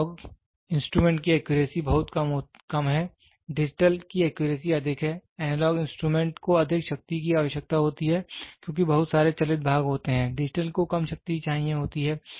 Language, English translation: Hindi, The accuracy of the analog instrument is very less, the accuracy of digital is high the analog instrument requires more power because, lot of moving parts are there digital is less power